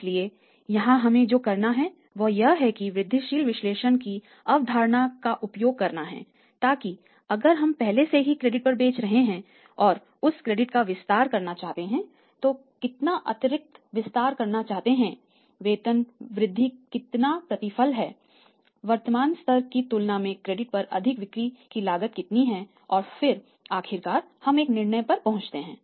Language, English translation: Hindi, So, here what we have to do is we have to use the concept of elemental analysis that if we are selling on the credit already and he want to expand the credit then how much additional want to make how much is the increment the rate of return available how much is it cost of selling more on the credit as compared to the current level and then finally we will arrive at a decisions